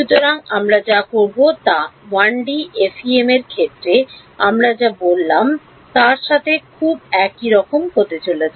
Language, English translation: Bengali, So, what we will do is going to be very similar to what we did in the case of a 1D FEM